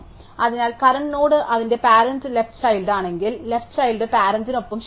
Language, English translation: Malayalam, So, if the current node is the left child of it is parent as said the left child with the parent to nil